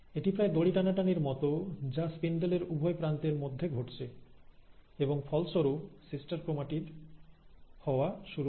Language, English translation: Bengali, It is almost like a tug of war which is happening between the two ends of the spindle, and as a result, the sister chromatids now start getting separated